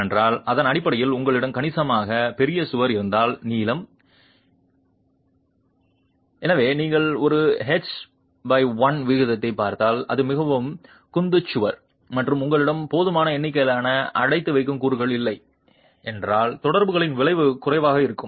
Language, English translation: Tamil, Because if you have a significantly large wall in terms of its length, so if you look at a H by L ratio and if it is a very squat wall and you don't have sufficient number of confining elements, the effect of the interaction is going to be lesser